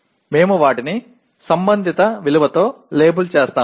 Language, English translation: Telugu, We label them with corresponding value